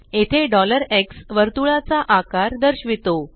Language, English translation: Marathi, Here $x represents the size of the circle